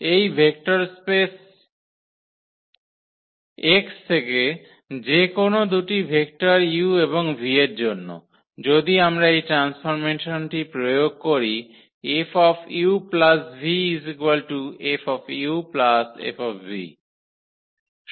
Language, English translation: Bengali, For any two vectors u and v from this vector space X, if we apply this transformation F on u plus v this should be equal to F u and plus F v